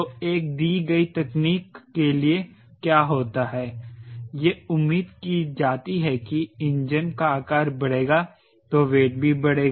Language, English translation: Hindi, for a given technology, it is expected that the engine size will increase